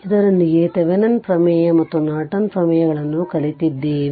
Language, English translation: Kannada, So, with this we have learned Thevenin theorem and Norton theorems